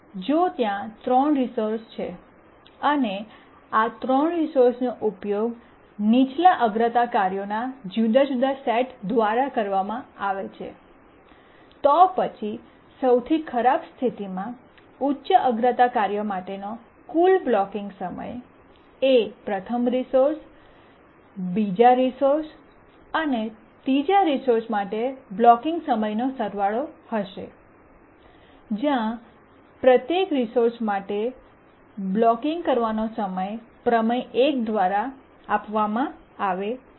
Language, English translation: Gujarati, If there are three resources and these three resources are used by different sets of lower priority tasks, then the total blocking time for the high priority task in the worst case will be the blocking time for the first resource plus the blocking time of the second resource plus the blocking time of the third resource where the blocking time for each resource is given by theorem one